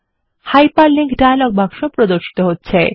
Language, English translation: Bengali, The Hyperlink dialog box appears